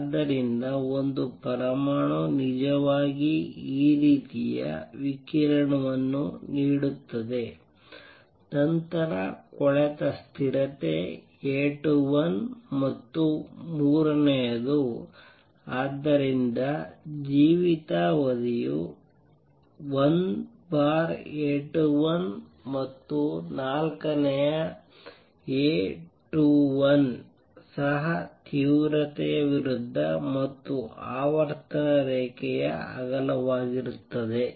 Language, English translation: Kannada, So, an atom actually give out this kind of radiation is goes down then the decay constant is A 21 and third therefore, lifetime is 1 over A 21 and fourth A 21 is also the width of the intensity versus frequency curve